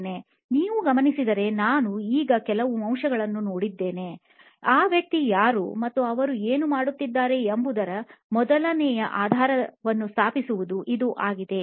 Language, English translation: Kannada, If you notice we have looked at a few elements now, so this is the first one which is setting a base for who is this person and what are they doing